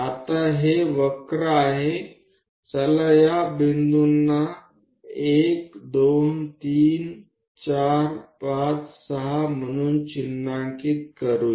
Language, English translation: Marathi, Once that is done we draw parallel lines to these points 1 2 3 4 5 6